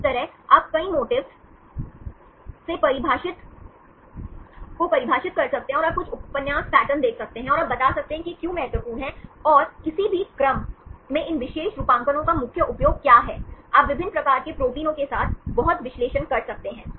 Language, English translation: Hindi, Likewise you can define several motifs and you can see some novel patterns and you can explain why this is important and what is the main use of these particular motifs in any sequences, you can do lot of analysis with different types of proteins